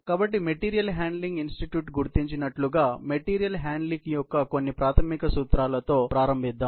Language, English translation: Telugu, So, let us start with some of the basic principles of material handling as figure out by the material handling institute